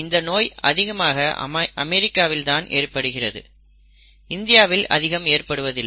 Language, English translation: Tamil, So it is one such disorder which is predominantly found in the US, not much in India